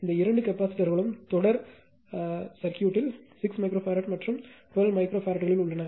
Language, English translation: Tamil, These two capacitors are there in series 6 microfarad, and 12 microfarads right